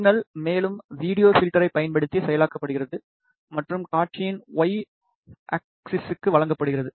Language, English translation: Tamil, The signal is further processed using a video filter and given to the Y axis of the display